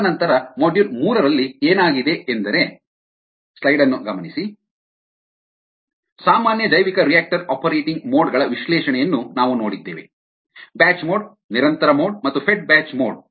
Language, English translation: Kannada, and then in model three we looked at the analysis of common bioreactor operating modes: the batch mode, the continuous mode and the fed batch mode